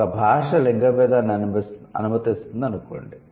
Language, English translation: Telugu, Let's say a language allowed gender distinction